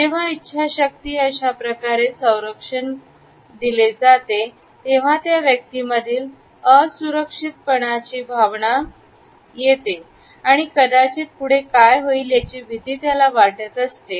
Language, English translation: Marathi, When the willpower is being covered up like this, it can be an indicator with the persons feeling insecure, there may be afraid of what is happening next